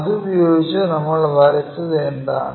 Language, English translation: Malayalam, Using that what we have drawn